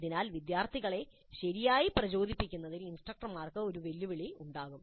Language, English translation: Malayalam, So the instructors will have a challenge in motivating the students properly